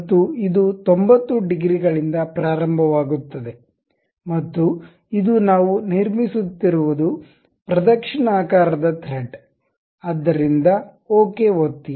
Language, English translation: Kannada, And it begins at 90 degrees, and it is a clockwise uh thread we were constructing, so click ok